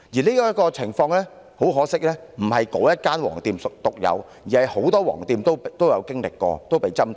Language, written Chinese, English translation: Cantonese, 很可惜這種情況，並非該間"黃店"所獨有，而是很多"黃店"也曾經歷和被針對。, It is a great pity that the problem is not unique to that yellow shop but a common experience of many yellow shops which have been picked on